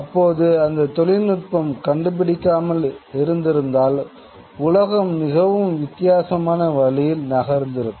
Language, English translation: Tamil, Had that technology not been developed, it would have these changes the world would have moved in a very different sort of way